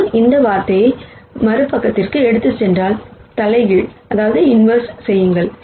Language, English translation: Tamil, If I take this term to the other side, and then do the inverse